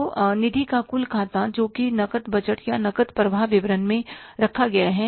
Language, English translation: Hindi, So, that total account of the funds that is kept in the cash budget or in the cash flow statement